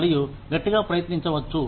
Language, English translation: Telugu, And, as hard as, one may try